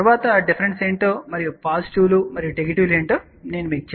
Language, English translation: Telugu, Later on we will tell you what are the differences and what are the pluses and minuses